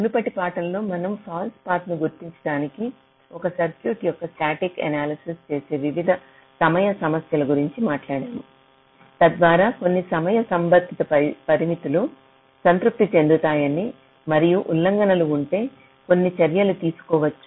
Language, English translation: Telugu, ah, in the earlier lectures we talked about various timing issues where you do static analysis of a circuit to identify false paths and so on, so that some timing related constraints can be satisfied and if there are violations, some measures can be taken